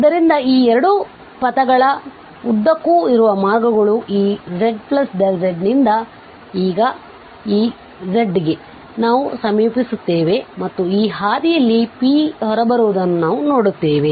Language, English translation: Kannada, So, these are the 2 paths along these 2 paths we will approach from this z plus delta z to this z and we will see that what comes out